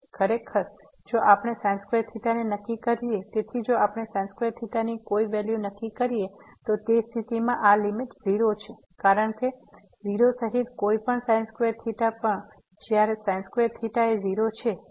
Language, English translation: Gujarati, Indeed, if we fix theta; so if we fix some value of theta, in that case this limit is 0 because, whatever theta including 0 also when theta is 0